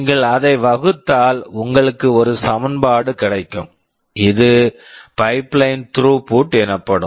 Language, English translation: Tamil, If you divide it, you get an expression, this is pipeline throughput